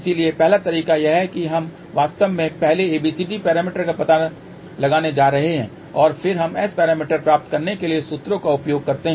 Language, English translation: Hindi, So, first approaches we are going to actually find out first ABCD parameter and then we use the formulas to get S parameter